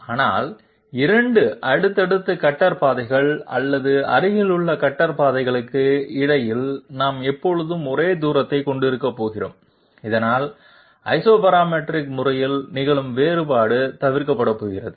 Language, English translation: Tamil, But in between 2 successive cutter paths or adjacent cutter paths we are always going to have the same distance, so that divergence which was occurring in Isoparametric method is going to be avoided